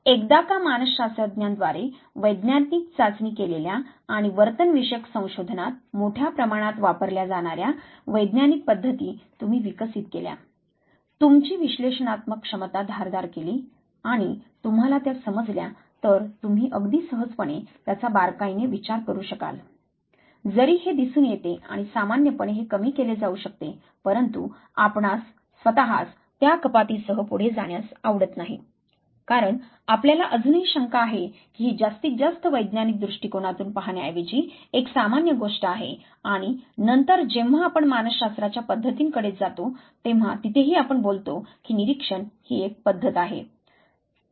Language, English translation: Marathi, So, ones you have developed you have sharpened your analytical ability and you have understood the methods that have that scientific flavor used by psychologists and used by and large in behavioral research you would very easily be able to consider it fine all though this appears and commonsensically This is what one can deduce you yourself would not like to go ahead with that deduction the reason being that you still you doubt that this is more and more of a commonsensical thing rather than being more and more scientifically sound observation much later when we come to methods of psychology they there even we will be talking about observation is a method